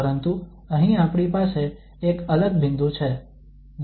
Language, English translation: Gujarati, But here we have a different point